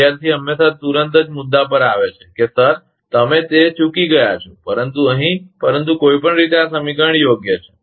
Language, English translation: Gujarati, Student always immediately point outs, sir that that, that you are missed, but here, but anyway this equation is correct one